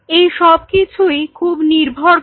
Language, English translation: Bengali, It all depends very